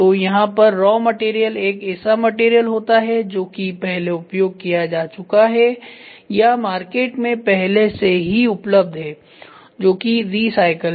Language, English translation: Hindi, So, here the raw material is a material which is getting used or which is available in the market already in use that is recycle